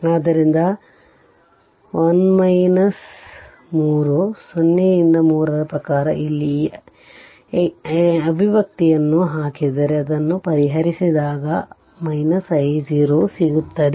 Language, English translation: Kannada, So, if you put this expression of i here expression of i here in terms of 1 minus 3 0 by 3 then solve it you will get i 0